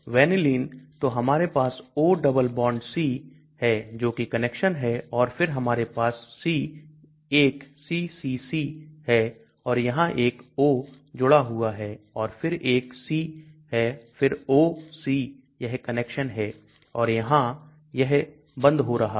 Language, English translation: Hindi, So we have this O double bond C that is this connection and then we have the c1ccc and there is a O connected here and then there is a c again O C that is this connection and this is closing here understand